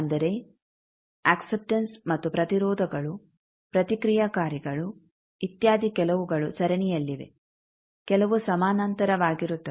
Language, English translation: Kannada, That means, acceptance and resistances, reactants, etcetera some are in series, some are in parallel